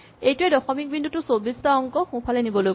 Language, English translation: Assamese, So, this says move the decimal point 24 digits to the right